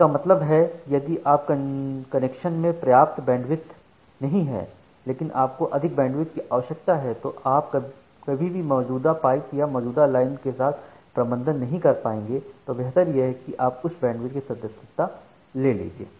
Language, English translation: Hindi, So, what does it mean that if your connection does not have sufficient bandwidth, but you require more bandwidth then you will never be able to manage with the existing pipe or existing line that you have, better to go for a subscription of a higher bandwidth line